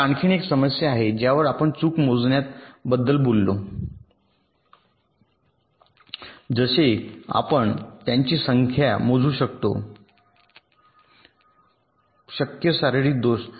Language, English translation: Marathi, we talk about fault enumeration, like: can we count the number of possible physical defects